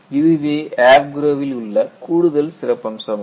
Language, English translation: Tamil, So, these are included as part of AFGROW